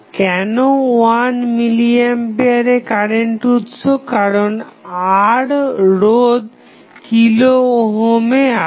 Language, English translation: Bengali, Why 1 milli ampere because the resistance R is in kilo ohm